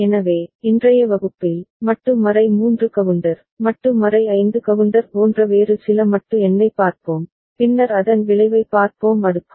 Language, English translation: Tamil, So, in today’s class, we shall look at some other modulo number like modulo 3 counter, modulo 5 counter and then we shall look at the effect of cascading